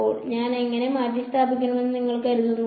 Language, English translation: Malayalam, So, how do you think I should replace